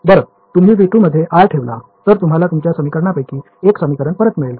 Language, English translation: Marathi, Well yeah if you put r insider v 2 you will get back one of the equations you are